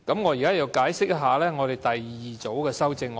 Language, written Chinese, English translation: Cantonese, 我現在解釋第二組修正案。, Let me explain the second group of amendments now